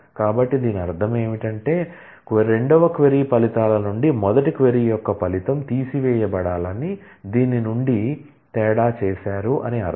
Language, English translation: Telugu, So, what will that mean, that will mean that the result of the first query from the results of the second query be subtracted be done a difference from